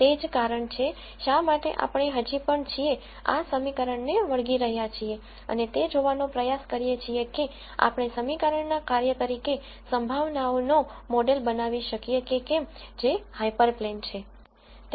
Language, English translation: Gujarati, That is the reason, why we are still sticking to this equation and trying to see if we can model probabilities as a function of this equation, which is the hyper plane